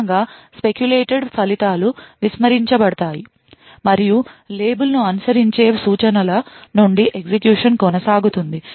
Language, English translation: Telugu, As a result the speculated results are discarded and execution continues from the instructions following the label